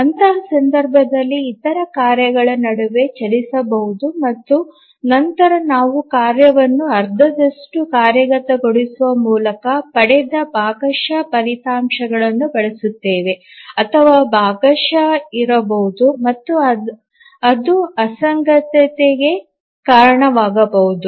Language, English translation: Kannada, So, in that case, other tasks may run in between and they may use the partial results obtained by executing a task halfway or maybe partially and that may lead to inconsistency